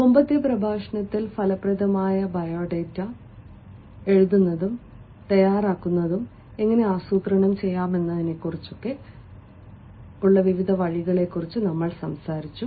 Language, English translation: Malayalam, in the previous lecture we talked about the various ways as how to plan for writing an effective resume or for drafting an effective resume, and you remember well